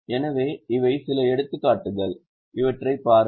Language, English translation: Tamil, So, these are a few of the examples